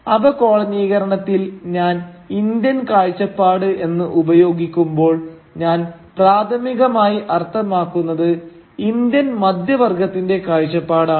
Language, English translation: Malayalam, When I use the word Indian perspective on decolonisation, what I primarily mean is the perspective of the Indian middle class